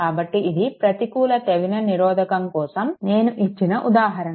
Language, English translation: Telugu, So, this is one example I give for negative Thevenin resistance right ok